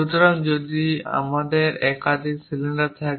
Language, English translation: Bengali, For example, if it is a cylinder having multiple steps